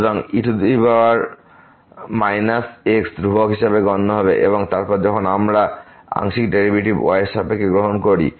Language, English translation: Bengali, So, power minus will be treated as constant and then, when we take the partial derivative with respect to